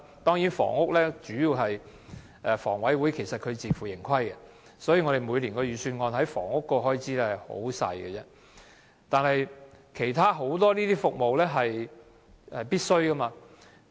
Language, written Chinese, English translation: Cantonese, 當然，在房屋方面，房委會其實是自負盈虧的，所以每年的預算案在房屋方面的開支十分少，但其他很多服務都是必需的。, On housing as the Housing Authority is self - financing the provision on housing in the Budget each year is actually very small but there are many other essential services